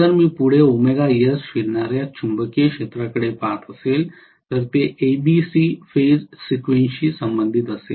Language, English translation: Marathi, If I am looking at forward revolving magnetic field, it may be rotating at omega S this is corresponding to ABC phase sequence